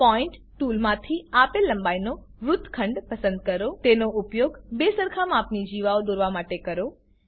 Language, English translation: Gujarati, Select Segment with Given length from point tool Use it to draw two chords of equal size